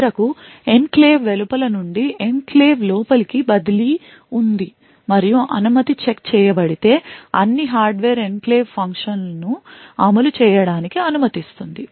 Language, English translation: Telugu, And finally, there is a transfer from outside the enclave to inside the enclave and if all permission have been check are correct the hardware will permit the enclave function to execute